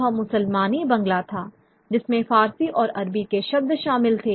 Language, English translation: Hindi, So, they tried to substitute the Bangal words which were from Persian or Arabic origin